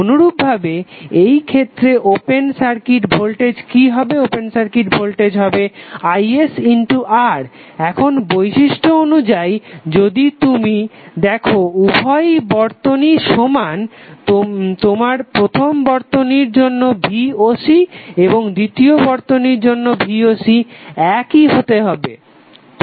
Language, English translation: Bengali, Ssimilarly, in this case what would be the open circuit voltage, open circuit voltage would be is into R now as per property if you see that both of the circuits are equivalent, your V o C for first circuit or Voc for second circuit should be equal